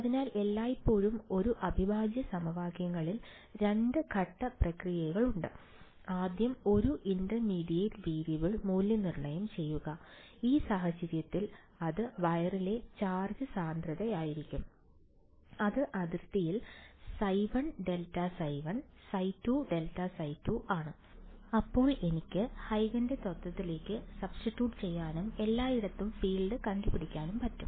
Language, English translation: Malayalam, So, always in an integral equations there is a 2 step process, first evaluate an intermediate variable, in that case it was charge density on the wire in this case, it is phi 1 grad phi 1 phi 2 grad phi 2 on the boundary, then I can substituted back into Huygens principle and get the field everywhere